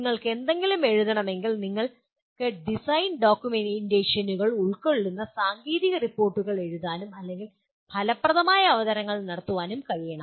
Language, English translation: Malayalam, Whatever you do you need to write, you should be able to write technical reports or reports which are also include design documentations and make effective presentations